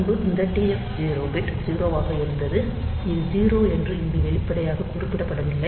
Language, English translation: Tamil, So, previously this TF g bit was 0, this TF this this all TF 0 bit